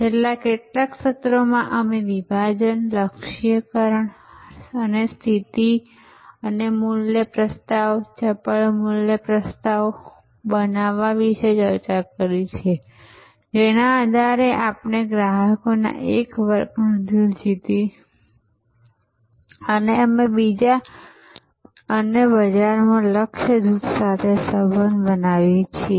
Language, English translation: Gujarati, In the last couple of sessions, we have discussed about segmentation, targeting and positioning and creating the value proposition, crisp value proposition by virtue of which, we win the hearts of a segment of customers and we create relationship with a target group in the market